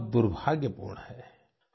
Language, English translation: Hindi, This is very unfortunate